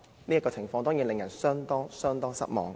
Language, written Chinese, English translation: Cantonese, 這情況當然令人相當失望。, This situation is of course rather disappointing